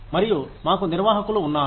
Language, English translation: Telugu, And, we have administrators